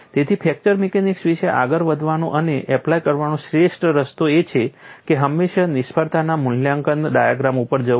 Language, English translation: Gujarati, So, the best way to go about and apply fracture mechanics is always fall up on failure assessment diagram